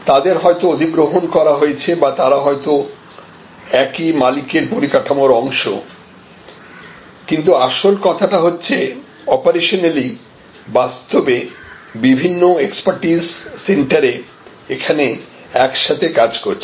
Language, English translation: Bengali, They might have been acquired or part of the same ownership structure, but the key point is operationally they are actually coming together of different expertise centres